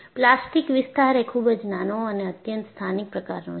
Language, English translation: Gujarati, The plastic zone is very small and highly localized